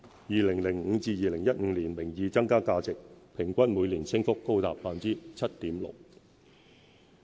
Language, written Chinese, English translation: Cantonese, 2005年至2015年，名義增加價值平均每年升幅高達 7.6%。, From 2005 to 2015 the value added in nominal terms increased at an average annual rate of 7.6 %